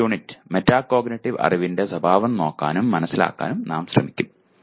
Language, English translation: Malayalam, And the next unit, we will try to look at, understand the nature of metacognitive knowledge